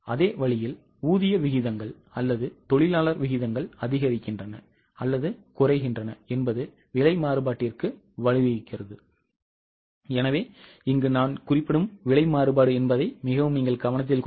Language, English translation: Tamil, Same way if wage rates or labour rates increase or decrease, it leads to price variances